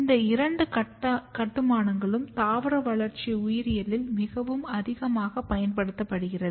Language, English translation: Tamil, So, there is these two construct which are very extensively used in plant developmental biology